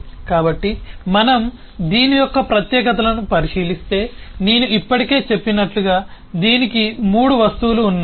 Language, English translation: Telugu, so if we look in to the specifics of this, so it has three objects